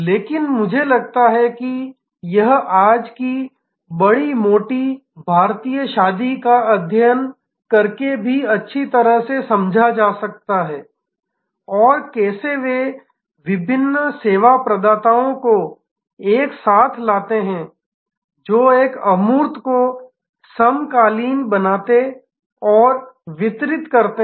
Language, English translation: Hindi, But, I think it can also be understood very well by studying today's big fat Indian wedding and how they bring different service providers together who synchronize and deliver a quite intangible